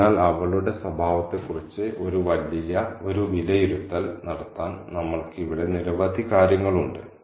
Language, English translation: Malayalam, So, we have several things here to make an assessment about her character